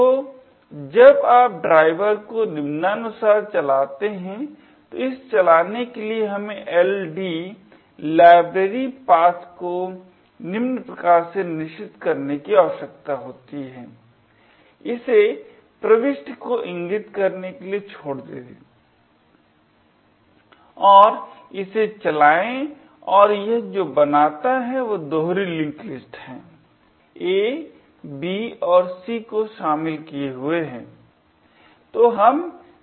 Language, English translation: Hindi, So, when you run driver as follows where it to run we need to first set the LD library path lets set as follows leave it point to the entry and run it and what it means are the nodes in the doubly link list comprising of A, B and C, okay